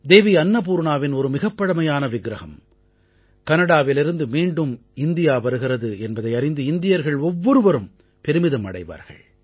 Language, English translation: Tamil, Every Indian will be proud to know that a very old idol of Devi Annapurna is returning to India from Canada